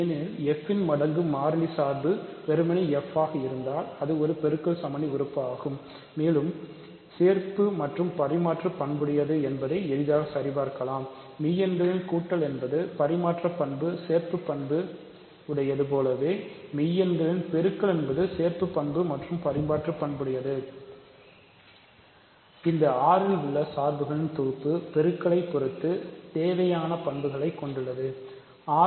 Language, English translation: Tamil, Because, if f times the constant function is simply f so, it is the multiplicative identity and we can check quickly that is associative and commutative; again just like addition is commutative and associative on real numbers multiplication is associative and commutative on real numbers, that carries over to the set of functions